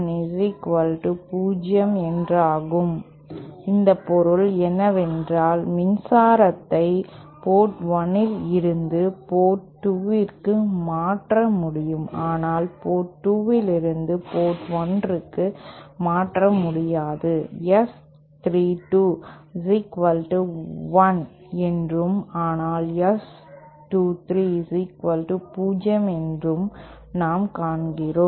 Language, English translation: Tamil, What this means is power can transfer from port 1 to port 2 but not from port 2 to port 1 and also we see S 32 is equal to 1 but S 23 is equal to 0